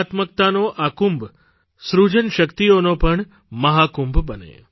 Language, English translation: Gujarati, May this Kumbh of aesthetics also become the Mahakumbh of creativity